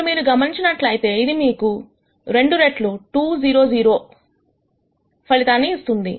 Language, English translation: Telugu, Now if you notice this will also give you the result 2 times 2 0 0